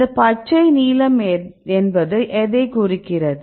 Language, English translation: Tamil, So, what is this green the blue one